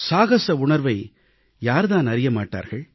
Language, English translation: Tamil, Who does not know of the sense of adventure